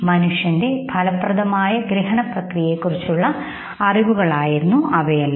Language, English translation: Malayalam, So this was all about our understanding of human effective processes